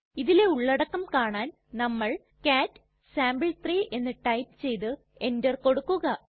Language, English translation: Malayalam, Let us see its content, for that we will type cat space sample3 and press enter